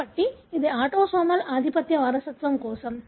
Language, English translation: Telugu, So, this is for autosomal dominant inheritance